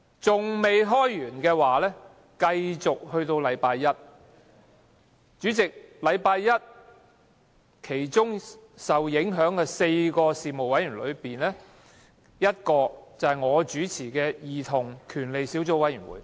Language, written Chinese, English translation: Cantonese, 主席，假如下周一續會，將有4個事務委員會的會議受影響，其中之一是由我主持的兒童權利小組委員會。, President if the Council meeting resumes next Monday the meetings of four panels or subcommittees will be affected including that of the Subcommittee on Childrens Rights which is chaired by myself